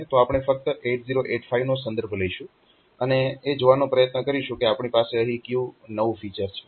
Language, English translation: Gujarati, So, we will be just refering to 8085 and trying to see that what is the new feature that we have here ok